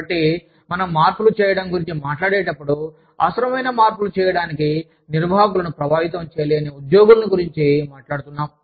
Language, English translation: Telugu, So, when we talk about making changes, employees, who lack influence with management, to make the necessary changes